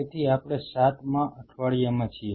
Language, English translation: Gujarati, So, we are in to the 7th week